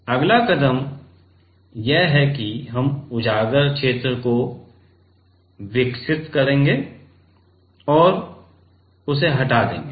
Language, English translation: Hindi, Next step is that we develop and remove the exposed region ok